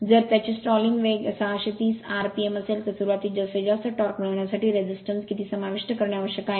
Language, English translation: Marathi, If its stalling speed is 630 rpm, how much resistance must be included per to obtain maximum torque at starting